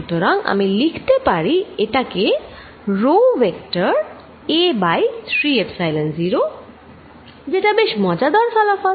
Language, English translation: Bengali, So, I can write this as rho vector a over 3 Epsilon 0, this is very interesting result